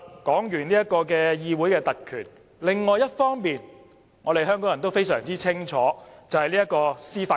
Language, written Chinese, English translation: Cantonese, 說完議會特權，另一方面，香港人也非常清楚司法公義。, Apart from parliamentary privilege Hong Kong people know well about judicial justice too